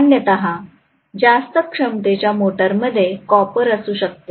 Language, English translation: Marathi, So generally for high capacity motors it may be copper, right